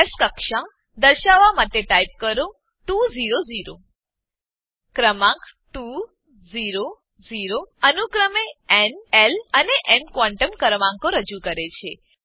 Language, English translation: Gujarati, type 2 0 0 The Numbers 2, 0, 0 represent n, l and m quantum numbers respectively